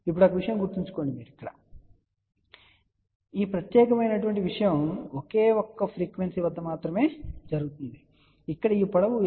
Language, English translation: Telugu, Now, remember one thing; this particular thing will happen only at a single frequency where this length is equal to lambda by 4 , ok